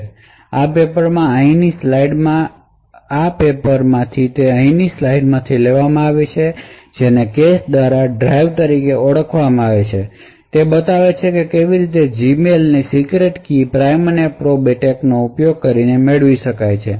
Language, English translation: Gujarati, this paper over here which is known as the Drive by Cache and it actually showed how the Gmail secret key can be retrieved by using a prime and probe attack